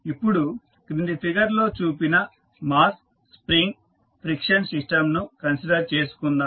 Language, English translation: Telugu, Now, let us consider the mass spring friction system which is shown in the figure below